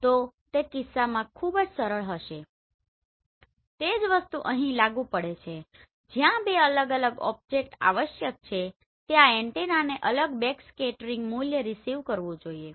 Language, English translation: Gujarati, So in that case it will be very easy the same thing applies here where the two different object it is necessary that antenna should receive separate backscattering value